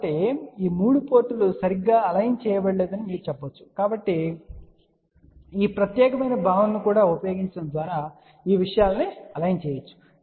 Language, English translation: Telugu, So, you can say that all these 3 ports are not properly aligned, so these things can be aligned by using this particular concept also